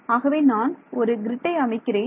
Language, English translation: Tamil, So, I make a grid